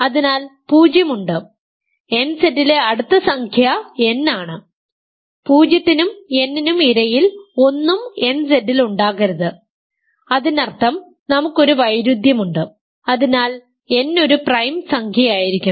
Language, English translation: Malayalam, So, there is 0 and the next number in nZ is n, nothing between 0 and n can be in nZ so; that means, that we have a contradiction, hence n must be a prime number